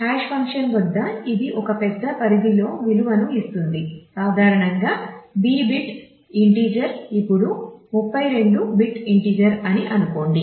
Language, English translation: Telugu, So, it at the hash function will generate the value over a large range say typically a B bit integer say 32 bit integer now